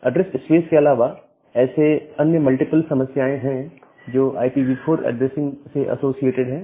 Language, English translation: Hindi, So, apart from the address space, there are multiple other problems which are associated with IPv4 addressing scheme